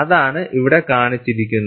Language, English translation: Malayalam, That is what is shown here